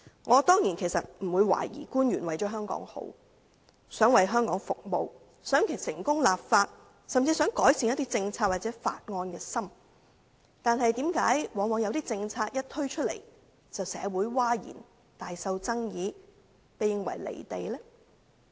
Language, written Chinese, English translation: Cantonese, 我當然不會懷疑官員是一心為了香港好，想為香港服務，想成功立法，甚至想改善一些政策或法案，但為何往往有些政策一推出便令社會譁然，大受爭議，被視為"離地"呢？, I certainly do not doubt that the officials have worked wholeheartedly for the betterment of Hong Kong . They wish to serve Hong Kong to succeed in introducing legislation and even improve certain policies or bills . But why do some policies often cause outcries and controversies in society being regarded as detached from reality once they are introduced?